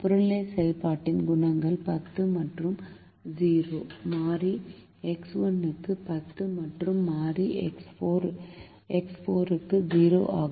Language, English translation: Tamil, the objective function coefficients are ten and zero: ten for variable x one and zero for variable x four